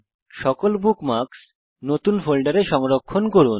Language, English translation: Bengali, * Save all the bookmarks in a new folder